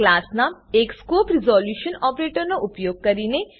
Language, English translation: Gujarati, Using the class name and the scope resolution operator